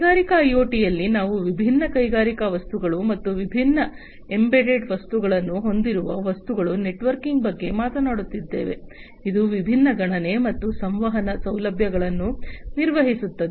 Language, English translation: Kannada, So, in industrial IoT we are talking about networking of different industrial things or objects that have different embedded objects, which can perform different computation, communication facilities are also there